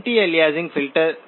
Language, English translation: Hindi, Anti aliasing filter